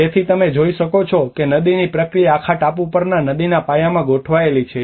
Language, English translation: Gujarati, So and you can see that the river process the kind of the whole island is set up in the river bases